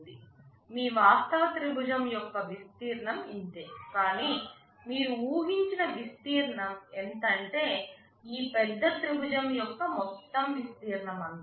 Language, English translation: Telugu, Like your actual triangle area will be only this much, but your expected area was the area of this whole larger triangle